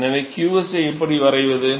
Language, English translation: Tamil, So, how do I define qs